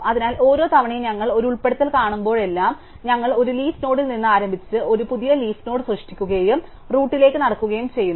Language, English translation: Malayalam, So, every time we saw every time we do an insert, we start at a leaf node a new leaf node that we create and we walk up to the root